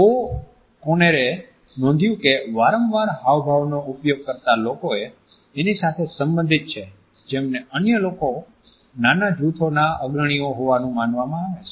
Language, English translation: Gujarati, O’Conner has found that frequent gesturing is highly correlated with people who were perceived by others to be leaders in small groups